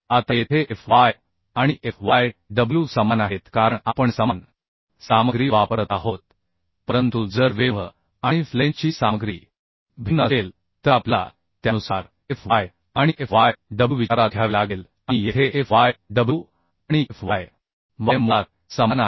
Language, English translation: Marathi, but if the material of the web and flange are different, then we have to consider Fy and Fyw accordingly and here Fyw and Fy is basically same